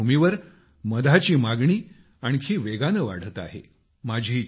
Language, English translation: Marathi, In such a situation, the demand for honey is increasing even more rapidly